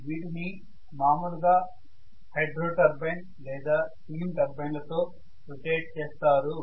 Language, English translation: Telugu, So these are generally rotated either by a hydro turbine or it is rotated by a steam turbine right